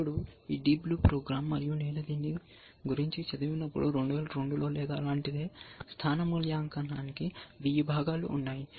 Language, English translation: Telugu, Now this program deep blue, and when I read about this is so in 2002 or something like that, it had a 1000 components to positional evaluation